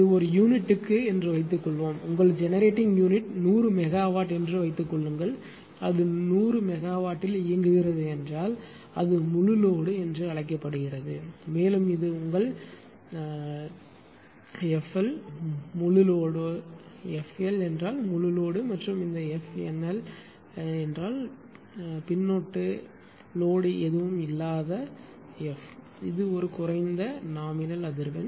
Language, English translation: Tamil, Suppose suppose it is one per unit suppose your generating unit is 100 megawatt and if it is operating at 100 megawatt it is called full load and this is your f FL that suffix is full load FL means full load and this f NL, f NL the suffix NL means no load and this is nominal frequency